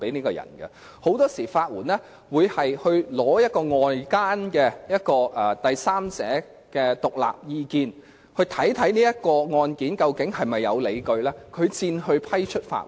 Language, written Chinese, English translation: Cantonese, 法援署很多時候會先聽取外間的第三者的獨立意見，研究案件是否有理據，然後才會批出法援。, LAD will often seek the independent opinion of a third - party outsider first and consider the merits of the case before granting legal aid